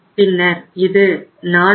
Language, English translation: Tamil, Then it is 439